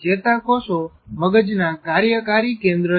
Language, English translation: Gujarati, Neurons are functioning core of the brain